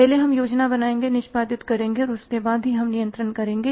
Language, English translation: Hindi, First we will plan execute and only then will control